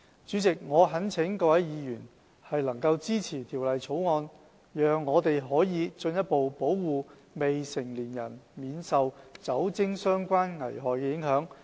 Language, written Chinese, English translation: Cantonese, 主席，我懇請各位議員支持《條例草案》，讓我們可進一步保護未成年人免受酒精相關危害的影響。, President I earnestly call for Members support to the Bill so that we can further protect minors from the impact of liquor - related harm